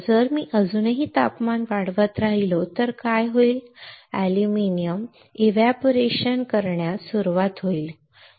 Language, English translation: Marathi, If I still keep on increasing the temperature then what will happen aluminum will start evaporating